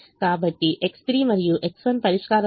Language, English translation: Telugu, so x three and x one are in the solution zero and minus seven